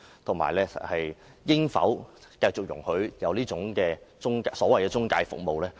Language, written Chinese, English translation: Cantonese, 而且，我們應否繼續容許這種所謂財務中介服務存在？, Moreover should we continue to allow this kind of so - called financial intermediary services to exist?